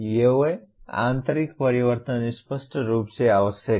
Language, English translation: Hindi, These internal changes are obviously necessary